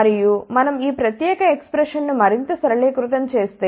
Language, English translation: Telugu, And, if we simplify this particular expression further